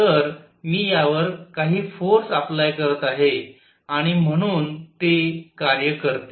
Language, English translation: Marathi, So, I will be applying some force on it and therefore, it does work